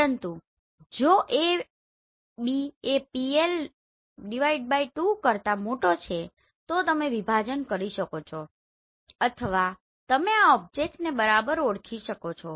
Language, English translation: Gujarati, But if A B is bigger than PL/2 right then you can divide or you can identify these objects right